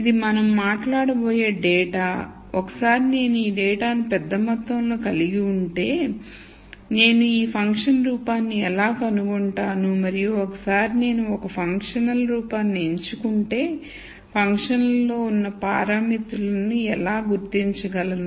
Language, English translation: Telugu, So, this is the data that we are going to talk about and once I have a large amount of this data, how do I find this function form and once I choose a functional form how do I also identify the parameters that are in the functional form